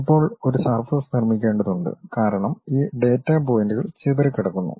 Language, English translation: Malayalam, Now, one has to construct a surface, because these data points are scattered